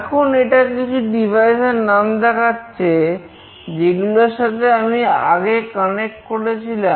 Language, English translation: Bengali, Now, it is showing that there are some devices, as I have already connected previously